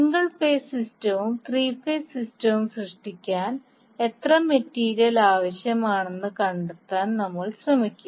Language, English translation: Malayalam, We will try to find out how much material is required to create the single phase system as well as three phase system